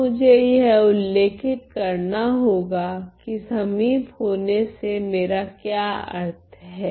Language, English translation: Hindi, Now, I have to describe what do I mean by this term close ok